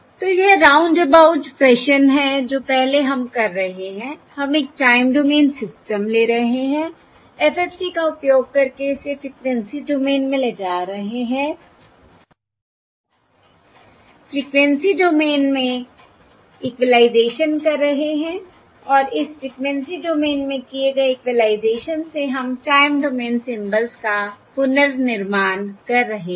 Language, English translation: Hindi, that is, first, what we are doing is we are taking a time domain system, moving it into frequency domain using the FFT, doing the equalisation in the frequency domain, and from the equalised, from the equalisation done in the frequency domain, we are reconstructing the time domain symbols